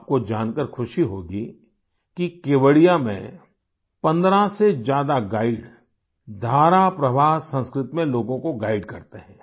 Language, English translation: Hindi, You will be happy to know that there are more than 15 guides in Kevadiya, who guide people in fluent Sanskrit